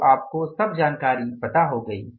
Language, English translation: Hindi, So you have got now all the information